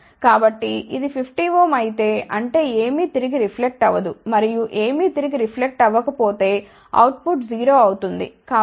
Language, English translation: Telugu, So, if this is 50 ohm; that means, nothing will reflect back and if nothing reflects back output will be equal to 0